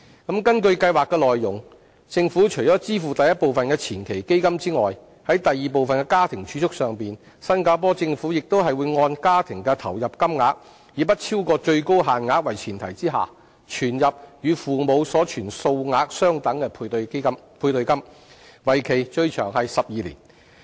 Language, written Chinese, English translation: Cantonese, 根據計劃內容，政府除支付第一部分的前期基金外，在第二部分的家庭儲蓄上，新加坡政府亦會按家庭的投入金額，以不超過最高限額為前提，存入與父母所存數額相等的配對金，為期最長12年。, According to the details of the Scheme in addition to an initial fund disbursed by the Government as the first step for household savings as the next step based on the household input the Singaporean Government will also match dollar - for - dollar the amount of savings parents contribute subject to a cap for a maximum period of 12 years